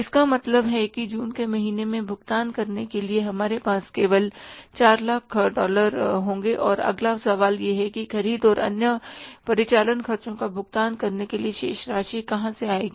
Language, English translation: Hindi, It means for making the payments in the month of June we will have with us only $400,000 and the next question is from where the remaining amount will come for making the payment for purchases and other operating expenses